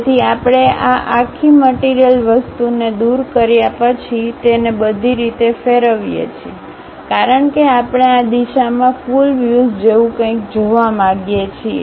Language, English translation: Gujarati, So, what we do is after removing this entire materials thing, we revolve it down all the way; because we would like to see something like a complete view in this direction